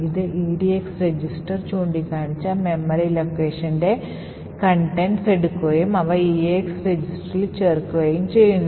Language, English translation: Malayalam, We have the contents of the memory location pointing to by the edx register to be added into the eax register